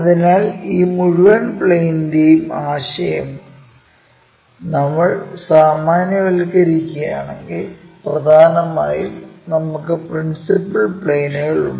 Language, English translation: Malayalam, So, if we are generalizing this entire planes concept, mainly, we have principal planes